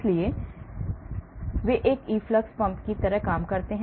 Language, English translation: Hindi, so they act like an efflux pump